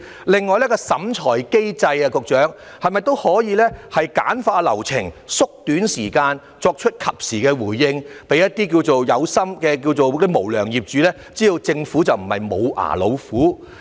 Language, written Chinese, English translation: Cantonese, 另外，局長，在審裁機制方面是否都可以簡化流程和縮短時間，以作出及時的回應，令一些"有心"的無良業主知道政府不是"無牙老虎"？, Besides Secretary is it possible to streamline the flow and shorten the time in respect of the inquiry mechanism for timely responses thereby letting those intentional unscrupulous landlords know that the Government is not a toothless tiger?